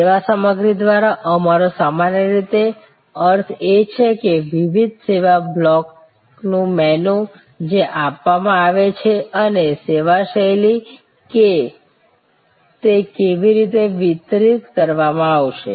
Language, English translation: Gujarati, By service content, what we normally mean is the menu of different service blocks, that are being offered and service style is how it will be delivered